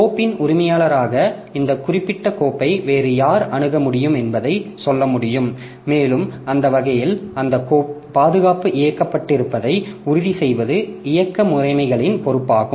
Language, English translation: Tamil, So, as an owner of the file so I can tell who else can access this particular file and it is operating system's responsibility to ensure that protection is enabled that way